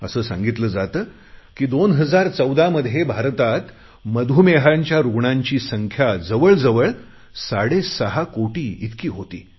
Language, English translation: Marathi, It is said that in 2014 India had about six and a half crore Diabetics